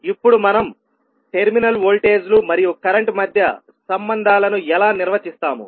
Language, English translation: Telugu, Now, how we will define the relationships between the terminal voltages and the current